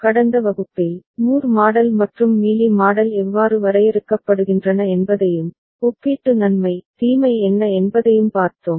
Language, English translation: Tamil, In the last class, we had seen how Moore model and Mealy model are defined and what are the relative advantage, disadvantage